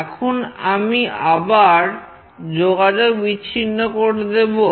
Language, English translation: Bengali, Now, I will again disconnect